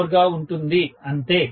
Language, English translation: Telugu, 04 or something like that